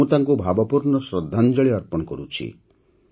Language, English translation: Odia, I also pay my heartfelt tribute to her